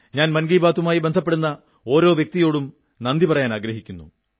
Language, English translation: Malayalam, I try to share the efforts and achievements of the youth as much as possible through "Mann Ki Baat"